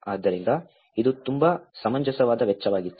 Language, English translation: Kannada, So, which was very reasonable amount of cost